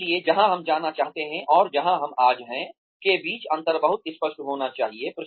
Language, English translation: Hindi, So, the differences between, where we want to go, and where we are today need to be very very clear